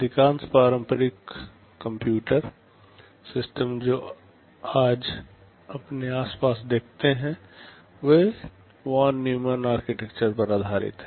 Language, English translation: Hindi, Most of the conventional computer systems that you see around us are based on Von Neumann architecture